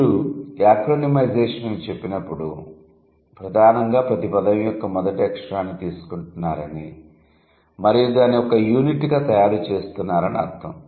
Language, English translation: Telugu, So, when you say acronymization, that means you are primarily what you are doing, you are taking the first letter of each word and you are producing it as a unit